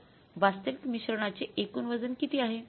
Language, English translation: Marathi, So, what is the total weight of actual mix